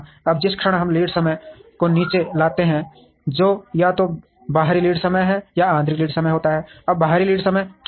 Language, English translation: Hindi, Now, the moment we bring down the lead time which is either the external lead time or internal lead time, now what is the external lead time